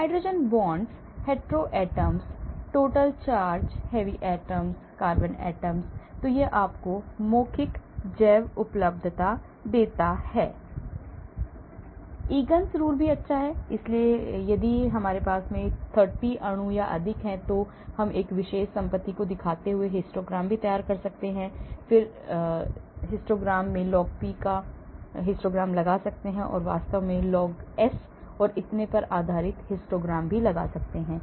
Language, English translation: Hindi, hydrogen bonds, hetero atoms, total charge, heavy atoms, carbon atom then it gives you oral bioavailability is good, Egan rule is also good , so if I have lot of 30 molecules or more, I can even prepare histograms showing a particular property, the histogram of a particular property, I can put a histogram of log P or I can put a histogram based on log S and so on actually